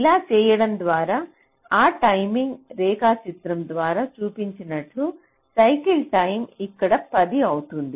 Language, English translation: Telugu, so by doing this, as i have shown through that ah timing diagram, the cycle time becomes ten here